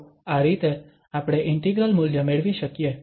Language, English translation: Gujarati, So, in this way, we can get the value of the integral